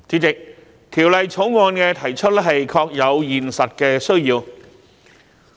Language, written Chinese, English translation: Cantonese, 代理主席，提出《條例草案》確有現實的需要。, Deputy President there is a practical need to introduce the Bill